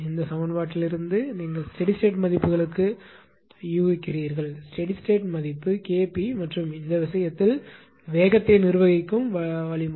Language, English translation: Tamil, From this equation you guess that for the steady state values; steady state value K p is responsible K p and in this case those speed governing mechanism